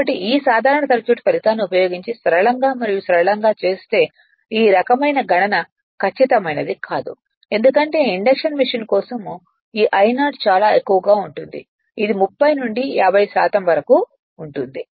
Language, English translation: Telugu, So, this kind of calculation if you do for simple and simple using this simple circuit result will not be accurate because this I 0 will be very high for induction machine it will be 30 to 50 percent right